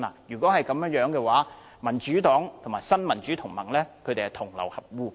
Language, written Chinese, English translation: Cantonese, 如果是這樣的話，民主黨和新民主同盟便是同流合污。, If that is the case the Democratic Party and Neo Democrats have colluded with each other